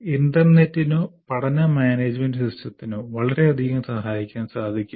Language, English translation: Malayalam, So, one can come, the internet or the learning management system can greatly facilitate that